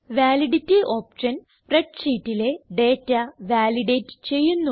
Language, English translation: Malayalam, The Validity option validates data in the spreadsheet